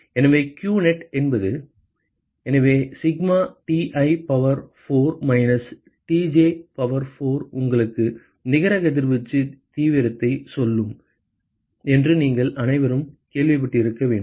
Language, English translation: Tamil, So, qnet will be; so all of you must have heard that sigma Ti power 4 minus Tj power 4 will tell you the net radiation extreme, what is missing